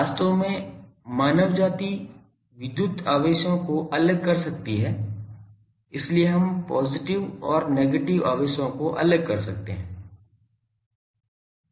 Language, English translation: Hindi, Actually mankind could separate the electric charges so we can separate the positive and negative charges